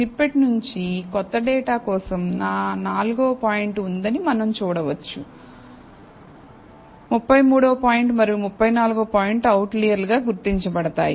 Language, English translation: Telugu, So, from the snippet, we can see that for the new data, I have my 4th point, 33rd point and 34th point being, are being identified as outliers